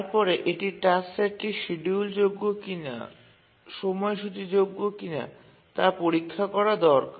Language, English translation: Bengali, One is check whether the following task set is schedulable